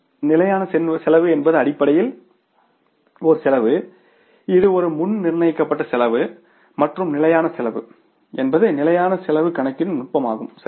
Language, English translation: Tamil, Standard cost is basically the cost, it is a predetermined cost and standard costing is the technique of calculating the standard cost